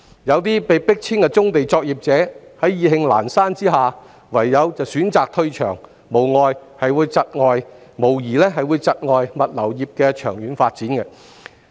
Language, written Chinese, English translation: Cantonese, 有些被迫遷的棕地作業者意興闌珊，唯有選擇退場，這無疑會窒礙物流業的長遠發展。, Some brownfield operators facing eviction are so frustrated that they decide to quit their business . This will undoubtedly hinder the long - term development of the logistics industry